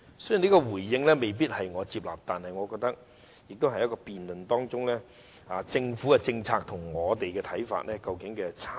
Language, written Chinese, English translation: Cantonese, 雖然這個回應我未必接納，但我們可以在辯論中看到政府的政策與我們的看法有何差異。, Although I might not necessarily accept such responses we can see the difference between the Governments policy and our perspectives in the course of debate